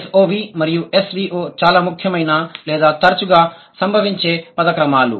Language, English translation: Telugu, So, SOV and SVO are the most prominent or the most frequently occurred word orders